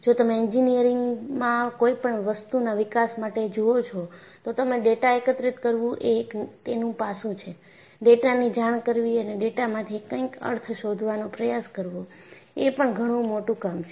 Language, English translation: Gujarati, So, if you look at any development engineering, collecting data is one aspect of it; reporting data and trying to find out a meaning from the data, is equally challenging